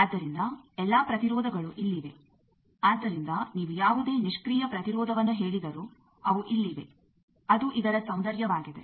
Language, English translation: Kannada, So all the impedances are present here, so you tell any passive impedance they are here that is the beauty